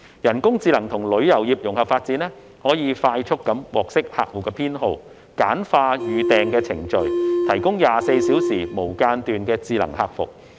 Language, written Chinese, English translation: Cantonese, 人工智能與旅遊業融合發展，可以快速獲悉客戶偏好，簡化預訂過程，提供24小時無間斷智能客服。, The integration of artificial intelligence and the tourism industry can facilitate quick detection of customer preferences simplify the booking process and provide 24 - hour round - the - clock intelligent customer service